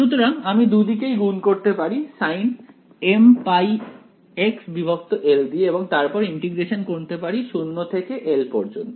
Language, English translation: Bengali, So, I can multiply both sides by sin m pi x by l and then integrate 0 to l right